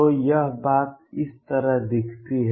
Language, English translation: Hindi, So, this thing looks like this